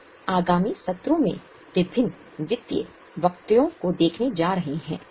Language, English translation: Hindi, In detail we are going to look at various financial statements in the coming sessions